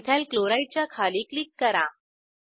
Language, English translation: Marathi, Click below Ethyl Chloride